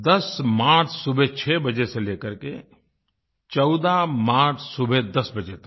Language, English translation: Hindi, on the 10th of March, till 10 am of the 14th of March